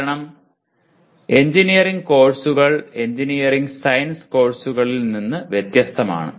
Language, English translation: Malayalam, Because engineering courses are different from engineering science courses